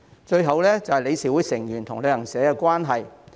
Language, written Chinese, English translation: Cantonese, 最後，是理事會成員與旅行社的關係問題。, The last issue is the relationship between board members and travel agencies